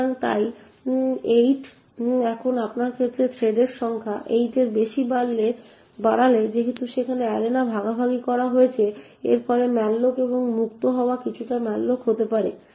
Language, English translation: Bengali, Now once you increase the number of threads beyond 8 since there is a sharing of arenas it could result in a slight slowdown of the malloc and frees